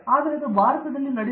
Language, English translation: Kannada, But that is not happening in India